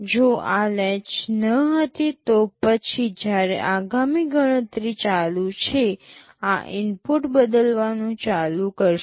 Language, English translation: Gujarati, If this latch was not there, then while the next calculation is going on this input will go on changing